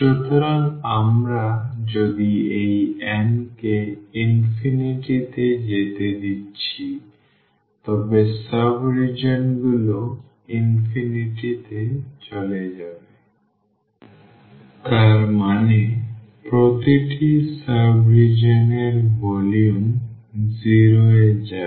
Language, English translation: Bengali, So, if we are letting this n goes to infinity then the sub regions will go to we infinity; that means, the volume of each sub region will go to 0